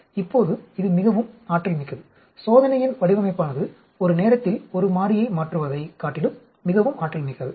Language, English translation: Tamil, Now this is more efficient, design of experiment is more efficient then changing one variable at a time